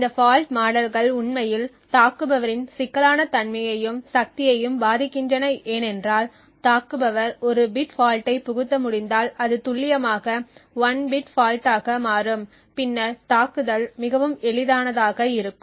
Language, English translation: Tamil, These fault models actually influence the complexity and power of the attacker now if an attacker is able to inject a bit fault that is precisely change exactly 1 bit in the fault then the attack becomes extremely easy